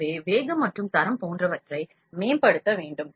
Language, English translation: Tamil, So, speed and quality like it has to be optimized